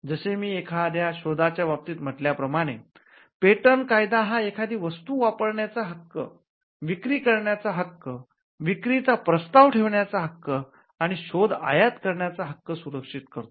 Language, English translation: Marathi, As I said in the case of an invention, patent law, protects the right to make the right to use, the right to sell, the right to offer for sale, and the right to import the invention